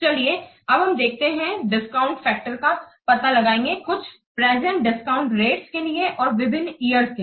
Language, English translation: Hindi, So now let's see we will find out the discount factor for some percentage of the discount rates and for different years